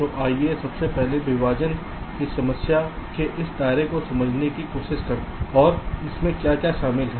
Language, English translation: Hindi, so let us first try to explain this scope of the partitioning problem and what does it involve